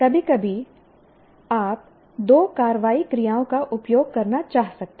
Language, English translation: Hindi, Occasionally, you may want to use two action verbs